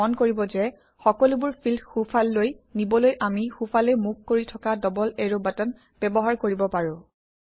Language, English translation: Assamese, Note that to move all the fields to the right we can use the double arrow button that points to the right